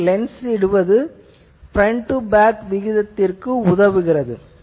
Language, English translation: Tamil, So, putting the lens helps that front to back ratio is input